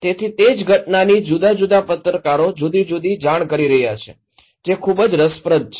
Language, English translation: Gujarati, So, same event but different journalists are reporting different things, it’s so interesting